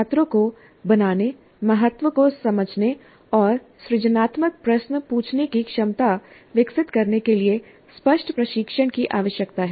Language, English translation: Hindi, Explicit training is required to make the students understand the importance and develop the capability to ask the generative questions